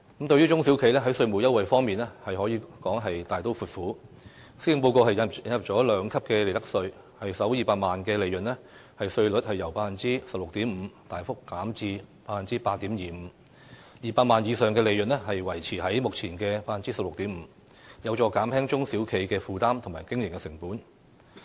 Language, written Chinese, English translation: Cantonese, 在中小型企業的稅務優惠方面，施政報告可說是"大刀闊斧"，引入兩級利得稅，企業首200萬元利潤的利得稅率由 16.5% 大幅減至 8.25%，200 萬元以上利潤的稅率則維持在目前的 16.5%， 有助減輕中小企的負擔和經營成本。, As regards tax concessions for SMEs the Policy Address boldly introduces a two - tier profits tax system whereby the profits tax rate for the first 2 million of profits of enterprises will be lowered substantially from 16.5 % to 8.25 % while profits above 2 million will remain subject to the current tax rate of 16.5 % . This will help reduce SMEs burden and operating costs